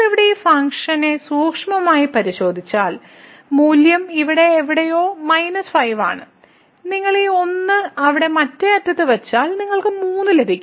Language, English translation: Malayalam, So, if you take a close look at this function here at 0 the value is a minus 5 somewhere here and if you put this 1 there the other end then we will get 3